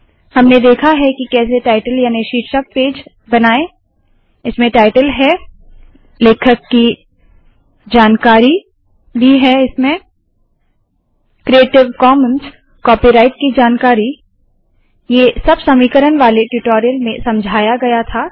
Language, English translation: Hindi, We have seen how to create the title page, this one has title, author information, and creative commons, copyright information as explained in the tutorial on equations